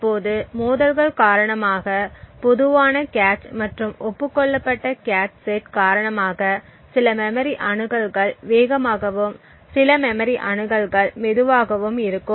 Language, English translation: Tamil, Now due to the conflicts that arise due to the common cache and the agreed upon cache sets, the conflicts may actually cause certain memory accesses to be faster and certain memory access to be slower